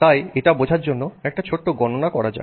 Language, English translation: Bengali, So, to understand that let's do a small calculation